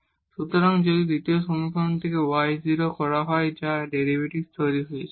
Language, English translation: Bengali, So, if y is 0 from the second equation which is making this derivative 0